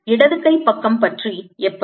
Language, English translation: Tamil, how about the left hand side